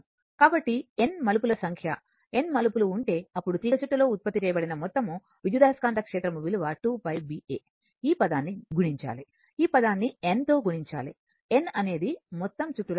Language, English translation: Telugu, So, you have n number of turns right you have n number of turns, then total your EMF generated will be that in the coil will be 2 pi B A you multiply you multiply this term, you multiply this term by capital N, it N is the total number of turns say